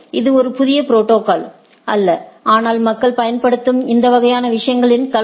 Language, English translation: Tamil, It is not a new protocol, but mix of this sort of things that also people use